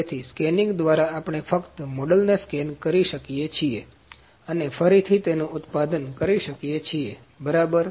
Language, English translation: Gujarati, So, with scanning we can just scan the model and produce it again, ok